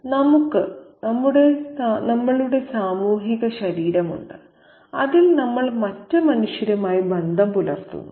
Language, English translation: Malayalam, We have a social body in which we come into relation with other men